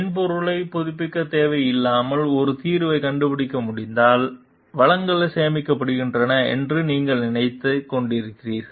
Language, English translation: Tamil, You are thinking of, if a solution can be found out without needing to update the software then resources are saved